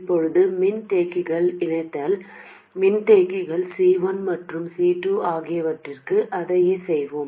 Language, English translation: Tamil, Now we will do the same thing for the capacitors, coupling capacitors C1 and C2